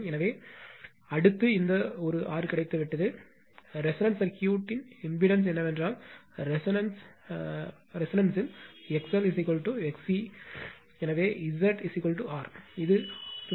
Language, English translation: Tamil, So, next this one R you have got then the impedance of the circuit of the resonance is that that at resonance X L is equal to X C, so Z is equal to R it is 56